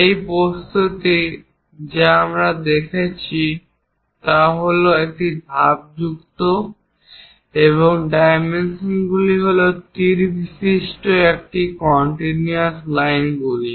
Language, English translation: Bengali, This is the object what we are looking at is a stepped one and the dimensions are these continuous lines with arrow heads